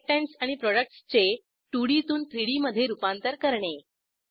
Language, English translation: Marathi, Now lets convert the reactants and products from 2D to 3D